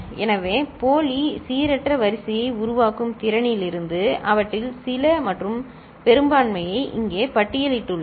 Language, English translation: Tamil, So, here I have listed a few and majority of them from its ability to generate pseudo random sequence